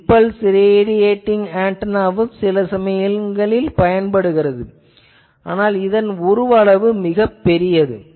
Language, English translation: Tamil, Impulse radiating antenna also sometimes for this low type applications may be used, but again the problem is that it size is quite big